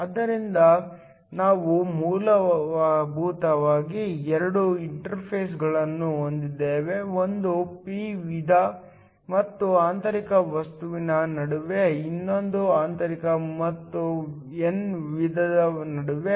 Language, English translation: Kannada, So, we have essentially two interfaces; one between the p type and the intrinsic material, the other between the intrinsic and the n type